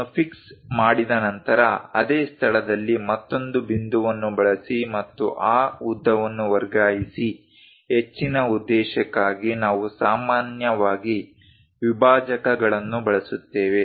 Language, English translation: Kannada, Once that is fixed, use another point at same location and transfer that length; further purpose, we usually go with dividers